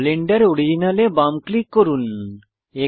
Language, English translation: Bengali, Left click Blender original